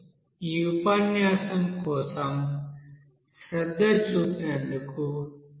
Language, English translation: Telugu, So thank you for giving attention for this lecture